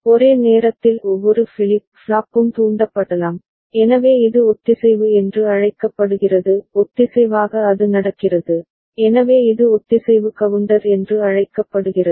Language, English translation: Tamil, And simultaneously each of the flip flop can get triggered, so that is called synchronous synchronously it is happening, so that is called synchronous counter